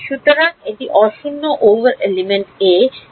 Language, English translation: Bengali, So, this is non zero over element a and element b